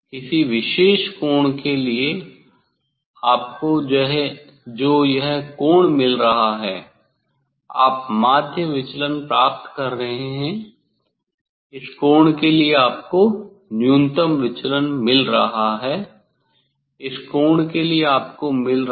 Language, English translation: Hindi, for a particular angle you are getting what this angle you are getting mean deviation, for this angle you are getting minimum deviation, for this angle you are getting